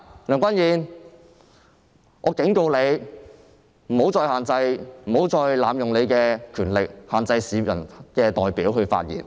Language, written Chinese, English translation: Cantonese, 梁君彥，我警告你，不要再濫用你的權力，限制市民的代表發言。, Andrew LEUNG I am warning you not to abuse your power and restrain the speech of a representative of the public